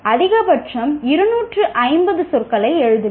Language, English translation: Tamil, Write maximum of 250 words